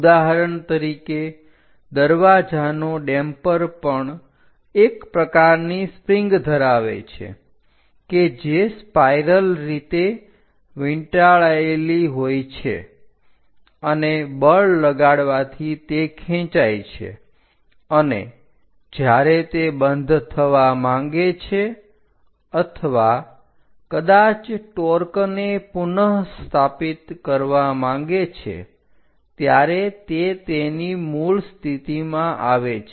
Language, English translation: Gujarati, For example, like if you are going to take your door damper that also contains is kind of spring spirally wounded and by applying forces it gets stretched and when it wants to close or perhaps to restore the torque it again comes back to it is original thing